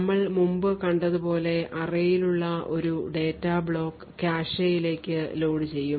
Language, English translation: Malayalam, Thus, as we seen before one block of data present in array would be loaded into the cache